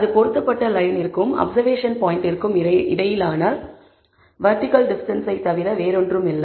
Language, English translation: Tamil, And that is nothing but the vertical distance between the fitted line and the observation point